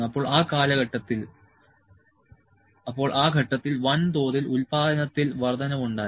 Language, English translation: Malayalam, So, that was at that point, there was a rise in mass production